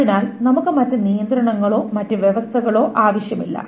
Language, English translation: Malayalam, So we do not require any other constraints or any other conditions, etc